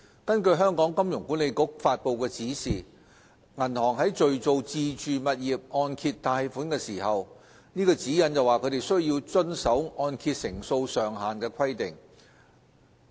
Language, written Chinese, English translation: Cantonese, 根據香港金融管理局發布的指引，銀行在敘造自住物業按揭貸款的時候，須遵守按揭成數上限的規定。, According to the guideline issued by the Hong Kong Monetary Authority HKMA banks have to comply with loan - to - value LTV requirement on owner - occupied residential mortgage lending